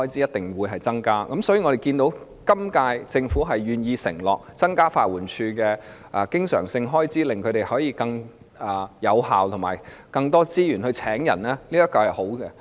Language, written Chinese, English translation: Cantonese, 我們看到本屆政府願意承諾增加法援署的經常開支，令它能更有效工作和有更多資源聘請人手，這是好事。, We see that the current - term Government is willing to undertake to increase the recurrent expenditure of LAD so that it can work more efficiently and have more resources to recruit manpower . This is a good thing